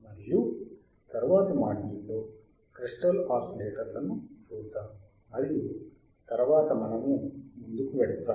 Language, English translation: Telugu, And let us see in the next module, crystal oscillators and then we will move forward